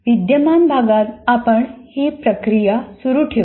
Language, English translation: Marathi, Now in the present unit, we'll continue with the process